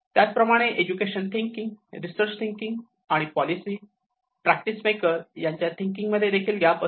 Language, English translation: Marathi, Also, there has been gaps in how education thinks and how research thinks and how the policy thinks how the practice